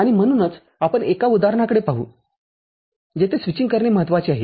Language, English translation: Marathi, And so, we look at one example where the switching is important